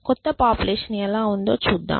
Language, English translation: Telugu, So, let us see how is the new population